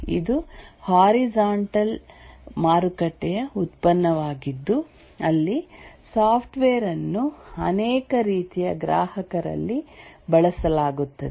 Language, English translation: Kannada, One is a horizontal market, this is a product for horizontal market where the software is used across many types of customers